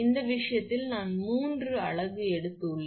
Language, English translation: Tamil, In this case, I have taken three unit